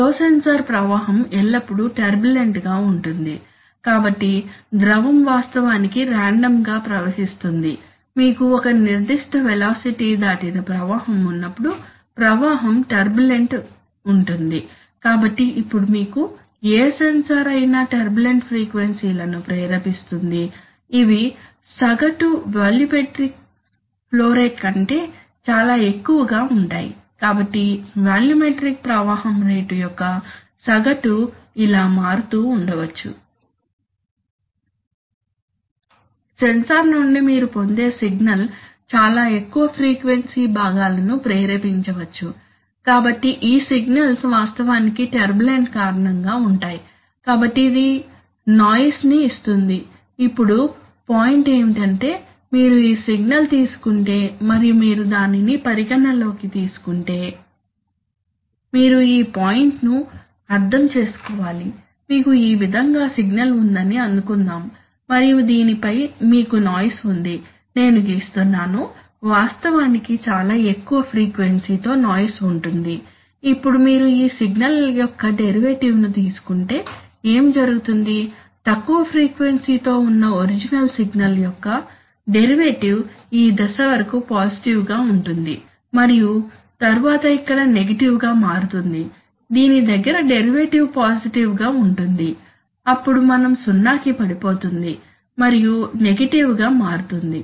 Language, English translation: Telugu, Some, you know, a flow sensor, flow sensor flow is always turbulent, so, you know, the fluid actually flows in random fashions, whenever you have a flow beyond a certain velocity, flow is turbulent, so whatever sensor you, now the turbulent induces frequencies which are much higher than the average volumetric flow rate, so while the average volumetric flow rate may be varying like this, the signal that you will get from the sensor may induce very high frequency components, so the signal these signals are actually due to, due to the turbulence, so this is, this gives a noise, right, now the point is that if you take this signal and if you suppose, if you consider the case that consider the case that You have a, this point needs to be understood suppose you have a signal which goes like this and you, on this you have a noise, I am drawing, actually noise will be much more higher frequency now if you take derivative of this signal, what will happen, the derivative of the, derivative of the low frequency original signal will remain positive up to this point will slowly fall and then will become negative here, the derivative around this is going to be positive then we will fall to zero then become negative